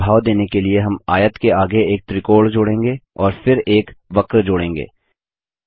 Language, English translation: Hindi, To give the effect of water, we shall add a triangle next to the rectangle and then add a curve